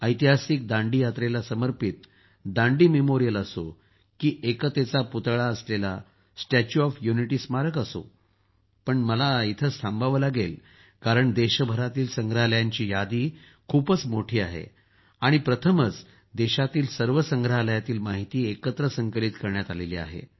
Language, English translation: Marathi, Whether it is the Dandi Memorial dedicated to the historic Dandi March or the Statue of Unity Museum,… well, I will have to stop here because the list of museums across the country is very long and for the first time the necessary information about all the museums in the country has also been compiled